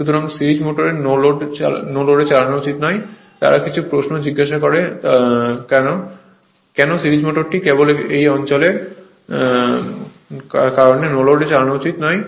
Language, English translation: Bengali, So, series motor should not be run on no load they ask sometime this question why series motor should not be run on no load right because of this region only